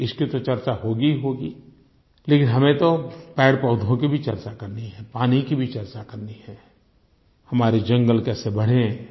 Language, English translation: Hindi, This topic will, of course, be discussed, but we also must talk about saving our flora and fauna, conserving water, and how to expand our forest cover